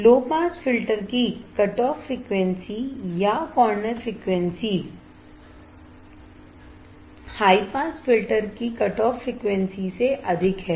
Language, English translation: Hindi, The cutoff frequency or corner frequency of low pass filter is higher than the cutoff frequency of high pass filter right